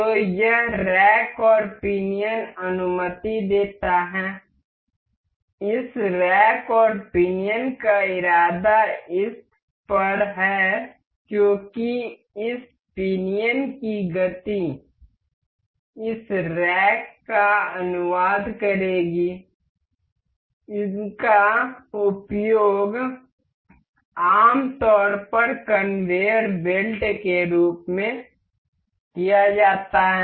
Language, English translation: Hindi, So, this rack and pinion allow, this rack and pinion intends to this as the motion of this pinion will translate this rack, these are generally used in conveyor belts